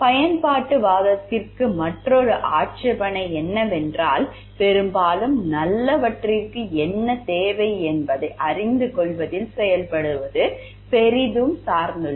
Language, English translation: Tamil, Another objection to utilitarianism is that the implementation depends greatly on knowing what will need to most of the good